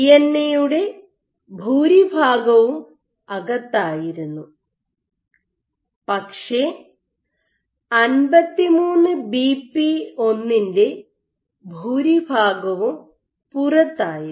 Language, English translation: Malayalam, So, most of the DNA was inside, but most of the 53BP1 was outside